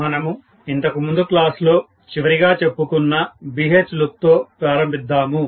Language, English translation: Telugu, So, let us start off with what we had left off in the last class, BH loop, yes